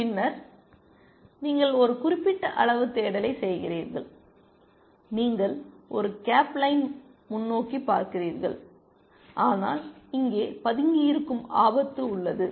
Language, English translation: Tamil, Then, you do a certain amount of search, you do a cape line look ahead, but there is a danger of lurking here